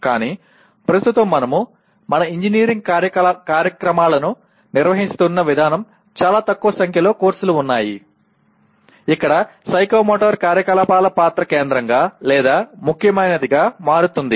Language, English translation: Telugu, But right now, the way we are conducting our engineering programs there are very small number of courses where the role of psychomotor activities is becomes either central or important